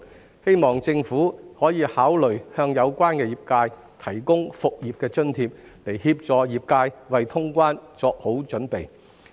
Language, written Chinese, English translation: Cantonese, 我希望政府可以考慮向有關業界提供復業津貼，協助業界為通關作好準備。, I hope the Government may consider providing a business resumption allowance for the relevant sectors to get prepared for resumption of cross - boundary travel